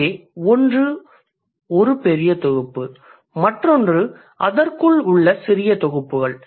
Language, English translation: Tamil, So, one is a bigger set, the other one is the tiny sets within that